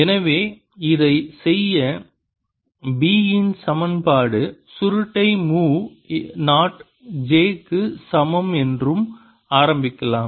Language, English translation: Tamil, so to do this, let us start with the equation: curl of b is equal to mu naught j